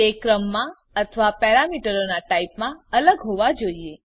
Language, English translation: Gujarati, They must differ in number or types of parameters